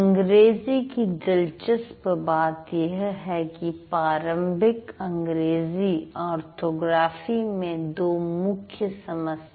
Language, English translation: Hindi, But what is interesting about English is that the English orthography, that is the conventional English orthography has two major problems